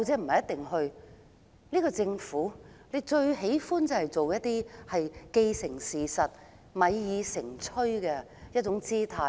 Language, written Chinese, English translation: Cantonese, 可是，這個政府最喜歡製造"既成事實"或"米已成炊"的狀態。, Although the Government claimed that the conduct of the preliminary research did not imply project implementation it is most capable of creating a fait accompli or a done deal